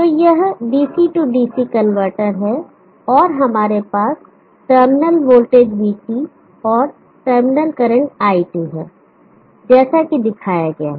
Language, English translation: Hindi, So this is the DC DC converter and we have terminal voltage Vt and terminal current It as shown like this